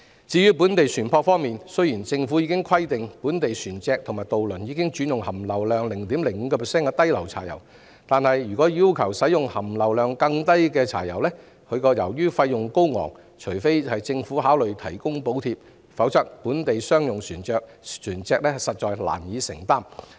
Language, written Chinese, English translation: Cantonese, 至於本地船舶方面，政府已規定本地船隻和渡輪轉用含硫量 0.05% 的低硫柴油，但如進一步要求本地船舶使用含硫量更低的柴油，由於費用高昂，除非政府考慮提供補貼，否則本地商用船隻實在難以負擔。, As regards local vessels the Government has required local ships and ferries to switch to low sulphur diesel with sulphur content of 0.05 % but if local vessels are further required to use diesel with lower sulphur content the high cost can hardly be affordable for local commercial vessels unless the Government considers providing subsidy